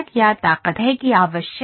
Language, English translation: Hindi, What is the strength that is required